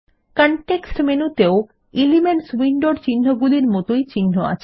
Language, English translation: Bengali, The context menu displays the same categories of symbols as in the Elements window